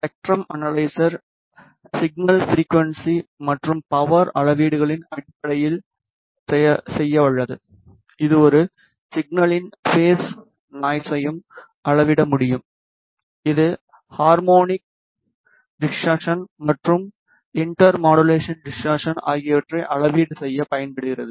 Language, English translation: Tamil, The spectrum analyzer is capable of doing signal frequency as well as power measurements fundamentally, it can also measure the phase noise of a signal, it is also used to measure the harmonic distortion as well as inter modulation distortion